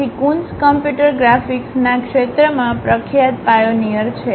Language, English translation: Gujarati, So, Coons is a famous pioneer in the field of computer graphics